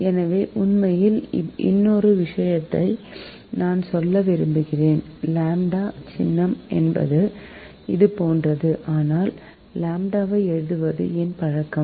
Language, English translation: Tamil, i would like to tell that certain look, ah, actually lambda symbol is like this, right, but my habit has become to write lambda like this